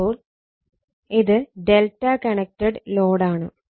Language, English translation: Malayalam, So, this is delta connected load